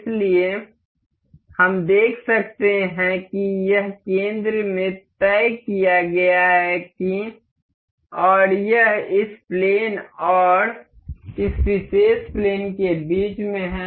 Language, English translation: Hindi, So, we can see this is fixed in the center and it is in the middle of this plane and this particular plane